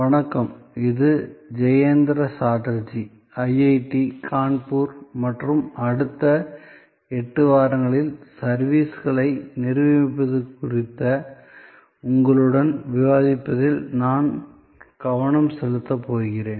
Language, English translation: Tamil, Hi, this is Jayanta Chatterjee from IIT, Kanpur and over the next 8 weeks, I am going to focus on and discuss with you interactively about Managing Services